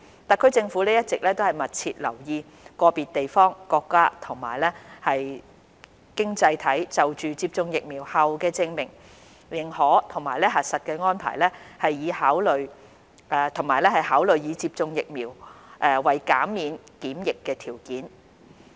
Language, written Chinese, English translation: Cantonese, 特區政府一直密切留意個別地方、國家及經濟體就接種疫苗後的證明、認可及核實安排，以及考慮以接種疫苗為減免檢疫的條件。, The Hong Kong Special Administrative Region SAR Government has been closely monitoring the vaccination certification recognition and verification arrangements of individual places countries and economies and has been considering vaccination as a criteria to reduce quarantine